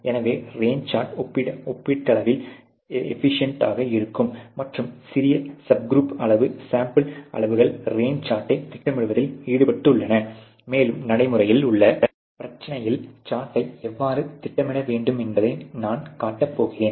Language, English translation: Tamil, So, the range chart is relatively efficient and the smaller subgroup sample sizes are involved in floating the range chart and I am going to be actually show you have to plot a range chart in a real problem ok